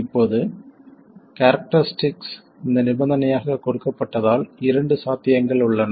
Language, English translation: Tamil, Now because the characteristic is given as this conditional, there are two possibilities, you have to evaluate both